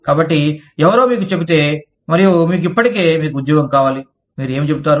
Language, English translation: Telugu, So, if somebody tells you that, and you already, you need the job, what will you say